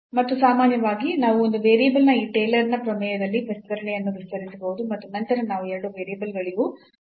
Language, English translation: Kannada, And in general also we can extend that expansion in this Taylor’s theorem of one variable and then we can have for the two variables as well